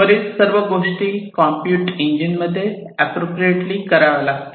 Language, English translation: Marathi, So, all of these things will have to be done appropriately in this compute engine